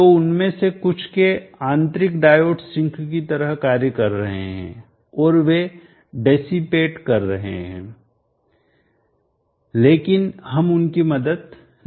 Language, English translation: Hindi, So the internal diode of some of them is acting as sinks they will be dissipating, so we cannot help that